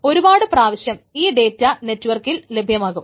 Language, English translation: Malayalam, Then many times the data is available only over networks